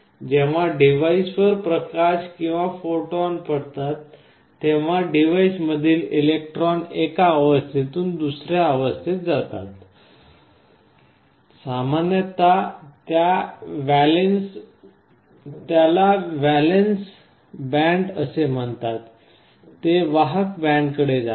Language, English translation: Marathi, When light or photons fall on the device the electrons inside the device move from one state to the other, typically they are called valence band, they move to the conduction band